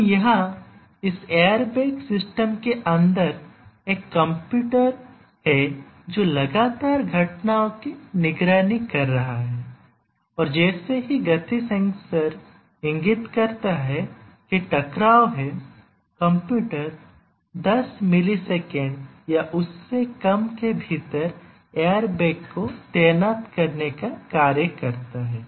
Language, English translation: Hindi, So, here just look at it that there is a computer inside this airbag system which is continuously monitoring the events and as soon as the motion sensor indicates that there is a collision the computer acts to deploy the airbag within 10 millisecond or less